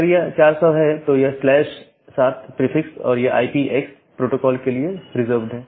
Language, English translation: Hindi, If it is 400 then, this with this slash 7 prefix it is reserved for IPX protocol